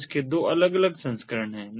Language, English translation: Hindi, so it has two different variants, two different versions